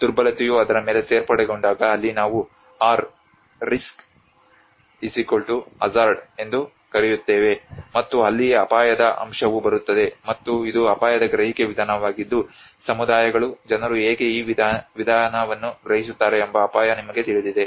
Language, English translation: Kannada, Where we call about R=risk=hazard when vulnerability adds on to it that is where the risk component comes to it and this is the risk perception approach how people how the communities percept this approach you know the risk